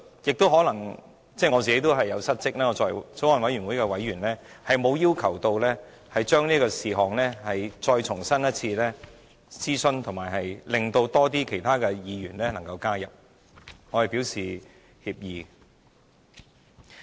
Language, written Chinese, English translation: Cantonese, 就此，我可能也有失職，我作為法案委員會委員，也沒有要求就此事項重新諮詢，使更多其他議員可以加入，我對此表示歉意。, And I may also have been derelict in my duty in this regard . As a member of the Bills Committee I have not requested a new consultation on the Bill to allow more Members to participate . I am sorry about this